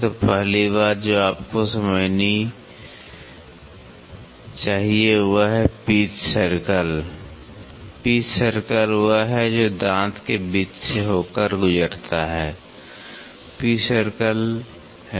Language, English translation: Hindi, So, the first thing which you should understand is the pitch circle, pitch circle is this which passes through which is almost in the mid of the tooth is pitch circle